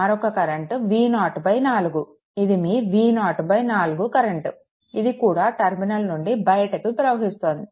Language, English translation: Telugu, Another current V 0 by 4, this is your V 0 by 4, this is also living this terminal